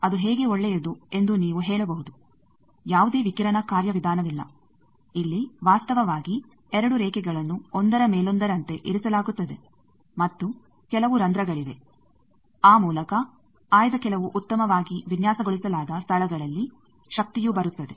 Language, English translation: Kannada, You can say how it is good, there is no radiation mechanism here actually the 2 lines they are kept one over other and there are some holes at some selected well designed places by that the power comes